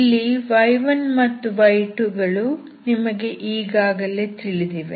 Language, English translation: Kannada, y1, y2, you already know